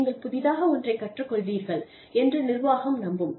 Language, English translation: Tamil, We will trust that, you will learn something, new